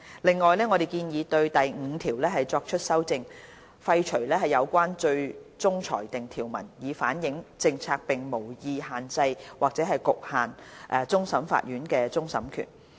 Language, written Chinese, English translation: Cantonese, 另外，我們建議修訂第5條，廢除相關最終裁定條文，以反映政策並無意限制或局限終審法院的終審權。, Moreover we propose amending clause 5 to repeal the relevant finality provision so as to reflect that the policy does not intend to restrict or limit the power of final adjudication vested in the Court of Final Appeal